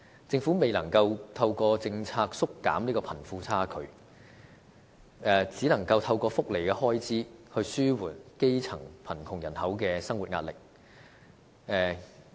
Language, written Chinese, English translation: Cantonese, 政府未能透過政策縮減貧富差距，便只能透過福利開支來紓緩基層貧窮人口的生活壓力。, As the Government is unable to reduce the wealth gap by policy means it can only alleviate the poors financial burden through welfare